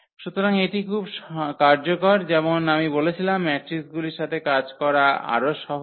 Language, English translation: Bengali, So, that is very useful as I said before this working with matrices are much easier